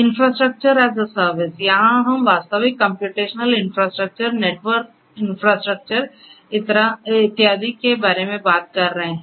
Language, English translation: Hindi, Infrastructure as a service, here we are talking about the actual computational infrastructure, the network infrastructure and so on